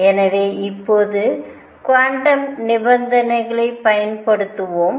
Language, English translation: Tamil, So now let us apply quantum conditions